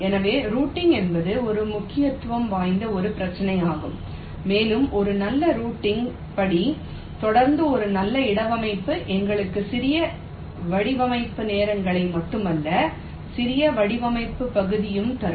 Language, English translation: Tamil, so routing is an issue which needs to be given utmost importance, and a good placement followed by a good routing step will give us not only smaller design times but also compact layout area